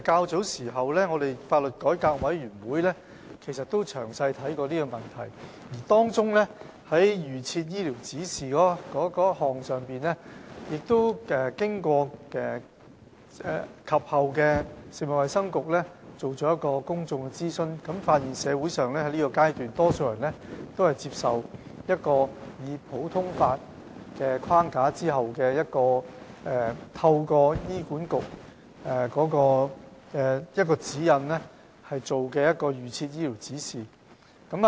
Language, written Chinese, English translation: Cantonese, 主席，香港法律改革委員會較早時亦曾詳細審視這個問題，而在預設醫療指示這項問題上，食物及衞生局及後也曾進行公眾諮詢，並發現在現階段，社會上多數人均接受在普通法框架下，透過醫管局的指引而制訂預設醫療指示的做法。, President some time ago the Law Reform Commission of Hong Kong had thoroughly examined the issue . Regarding the guidelines on advance directives the Food and Health Bureau had conducted a public consultation exercise after that . It was found that at the present stage the majority in society accepted the approach under the common law framework by formulating guidelines on advance directives according to HAs instructions